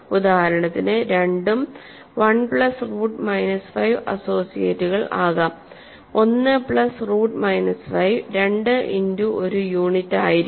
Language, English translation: Malayalam, For example, 2 and 1 plus root minus 5 is associates 1 plus root minus 5 will be 2 times a unit